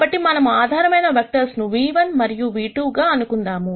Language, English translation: Telugu, So, let us assume these basis vectors are nu 1 and nu 2